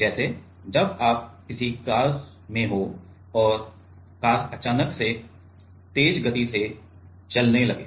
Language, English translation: Hindi, Like, while you are in a car and car suddenly accelerating